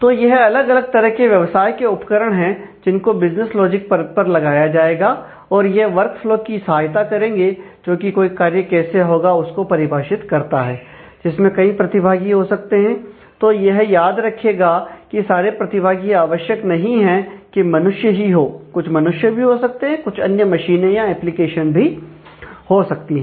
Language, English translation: Hindi, So, those are the different business tools, which will be employed by the business logic layer, and it will support a work flow which defines how a task will be carried out in terms of the multiple participants, and remember that all participants may not actually be human beings, they could be some could be human being some could be other machines or other applications as well